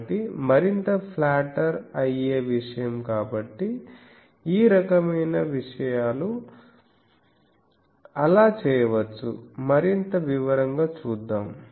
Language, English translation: Telugu, So, more flattered things so, this type of things can be done so, let us see in more detail